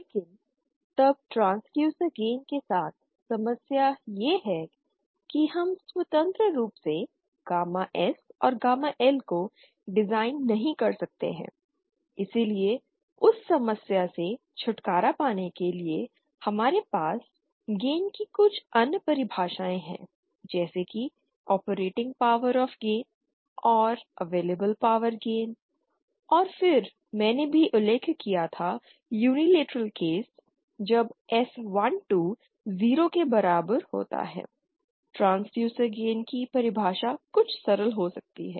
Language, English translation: Hindi, But then problem with transducer gain is that we cannot design gamma S and gamma L independently, hence to get rid of that problem we have some other definitions of gain like operating power of gain and available power gain, and then I had also mentioned for the unilateral case that is when S 1 2 is equal to 0, the definition of the transducer gain can be somewhat simplify